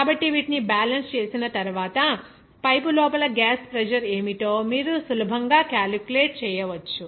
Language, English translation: Telugu, So, after balancing these, you can easily calculate what should be the gas pressure inside the pipe